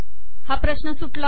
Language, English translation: Marathi, This problem is solved